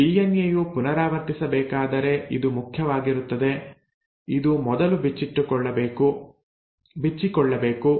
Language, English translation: Kannada, Now it is important if the DNA has to replicate, it has to first unwind